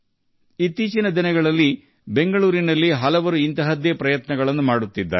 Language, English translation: Kannada, Nowadays, many people are making such an effort in Bengaluru